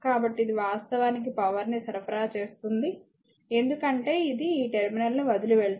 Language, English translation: Telugu, So, now, this current source so, it is actually supplying power because it is leaving this terminal